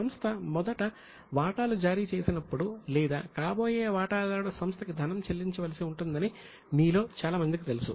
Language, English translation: Telugu, Many of you would be aware that whenever the shares are issued, first of all, the shareholder or a prospective shareholder has to pay to the company